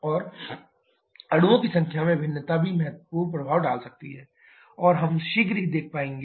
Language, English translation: Hindi, And the variation in the number of molecules that can also have significant effect and we shall be seeing shortly